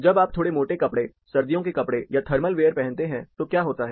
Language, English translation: Hindi, What happens when you put on slightly thicker clothes, winter clothes, or thermal wear